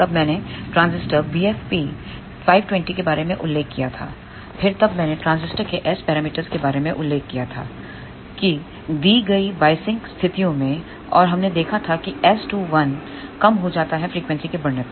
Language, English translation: Hindi, Then I mentioned about the transistor b f p 520, then I had mentioned about the transistor S parameters for given biasing conditions and we had seen that S 2 1 decreases as frequency increases